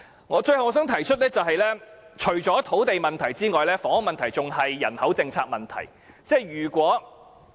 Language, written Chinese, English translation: Cantonese, 我最後想提出，除土地問題外，房屋問題還牽涉人口政策問題。, Finally I would like to point out that other than the land problem the housing problem also involves the population policy